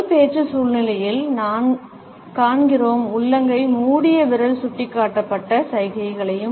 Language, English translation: Tamil, In public speech situation, we also come across the palm closed finger pointed gesture